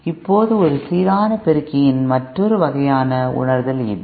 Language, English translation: Tamil, Now, another kind of realization of a balanced amplifier is this